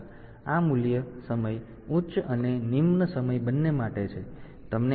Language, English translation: Gujarati, So, this value is same for both time high and time low